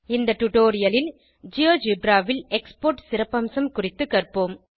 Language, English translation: Tamil, In this tutorial, we will learn about the Export feature in GeoGebra